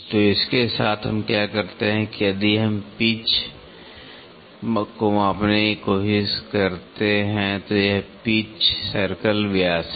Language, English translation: Hindi, So, with this what we do if we try to measure the pitch, this is the pitch circle diameter